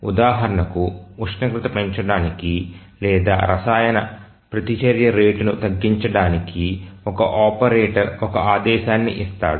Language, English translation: Telugu, For example, let's say an operator gives a command, let's say to increase the temperature or to reduce the rate of chemical reaction